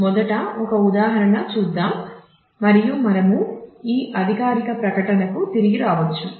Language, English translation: Telugu, Let me just go through an example first and we can come back to this formal statement